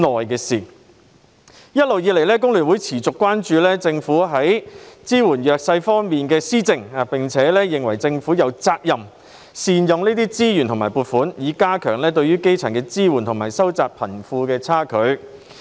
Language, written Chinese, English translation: Cantonese, 一直以來，香港工會聯合會持續關注政府支援弱勢社群的措施，並認為政府有責任善用資源和撥款，以加強對基層的支援及收窄貧富差距。, The Hong Kong Federation of Trade Unions FTU has all along been concerned about the Governments measures to support underprivileged groups and held the view that the Government is duty - bound to optimize the use of resources and funding to strengthen the support for the grass roots and narrow the wealth gap